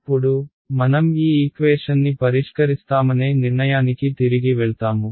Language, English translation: Telugu, Now, we will go back to how we are decided we will solve this equation